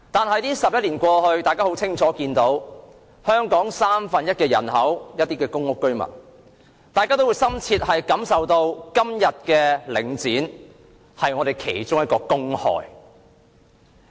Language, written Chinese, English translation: Cantonese, 可是 ，11 年過去，大家已清楚看到，而佔香港三分之一人口的公屋居民則深切感受到，今天的領展是本港其中一個公害。, Now that 11 years have passed we can see clearly that Link REIT is one of the public hazards in Hong Kong today and residents of public housing estates who account for one third of the population of Hong Kong have profound experience of this